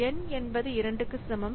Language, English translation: Tamil, n equal to 1